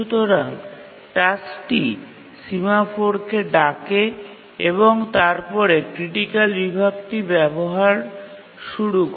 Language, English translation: Bengali, So the task invokes the semaphore and then starts using the critical section